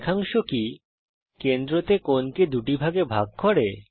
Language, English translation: Bengali, Does the line segment bisect the angle at the centre